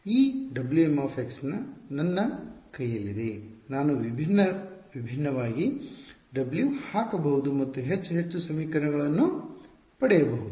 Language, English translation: Kannada, This guy W m x is in my hand I can put in different different w’s get more and more equations ok